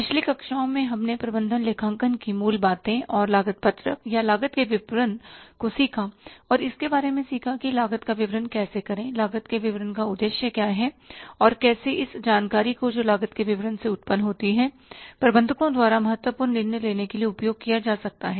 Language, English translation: Hindi, In the previous classes we learned about the basics of management accounting and the cost sheet or the statement of the cost and learned about that how to prepare the statement of the cost, what is the purpose of the statement of the cost and how this information which is generated by the statement of the cost can be used by the managers for the important decision making